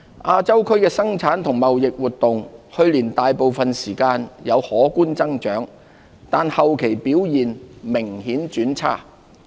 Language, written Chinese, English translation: Cantonese, 亞洲區的生產及貿易活動，去年大部分時間有可觀增長，但後期表現明顯轉差。, Production and trading activities in Asia saw notable growth for most of last year but significantly weakened towards year end